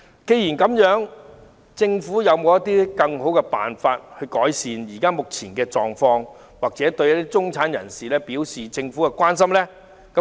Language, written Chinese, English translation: Cantonese, 既然如此，政府會否有更好的辦法，以改善目前的狀況及向中產人士表達政府的關心？, In that case will the Government come up with better ways to improve the current situation and express its care for the middle class?